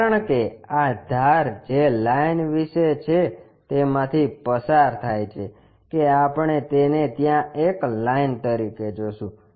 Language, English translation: Gujarati, Because, this edge what about the line passes through that that we will see it as a line there